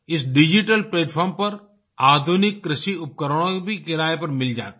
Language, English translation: Hindi, Modern agricultural equipment is also available for hire on this digital platform